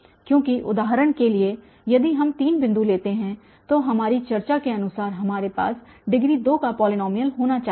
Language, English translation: Hindi, Because for instance if we take, if we take three points, so according to our discussion we should have a polynomial of degree 2